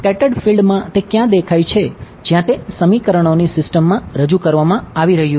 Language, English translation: Gujarati, In the scattered field where did it appear where is it being introduced into the system of equations